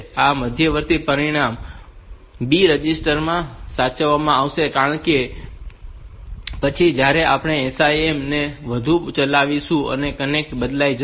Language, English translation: Gujarati, This intermediary result is save in the B register because after that the content will be changed when we execute this SIM and all that